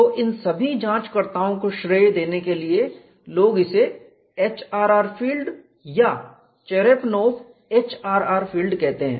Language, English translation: Hindi, So, in order to give credit to all these investigators, people calling it as HRR field or Cherepanov HRR field, but famously know as HRR field